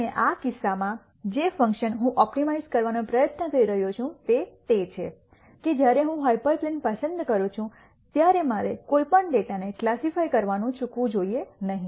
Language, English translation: Gujarati, And in this case the function that I am trying to optimize is that when I choose a hyperplane I should not miss classify any data